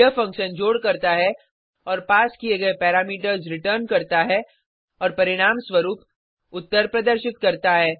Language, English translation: Hindi, This function does the addition of the passed parameters and returns the answer